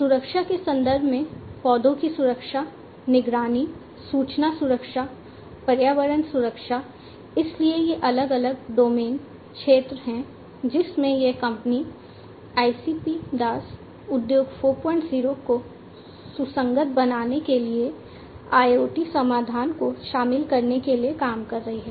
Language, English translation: Hindi, And in the context of safety, plant safety, surveillance, information security, environment safety, so these are the different, different domains, different sectors in which this company ICP DAS has been working for incorporating IoT solutions to make it Industry 4